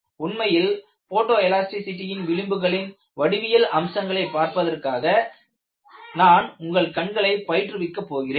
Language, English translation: Tamil, In fact, I am going to train your eyes for looking at geometric features of photo elastic fringes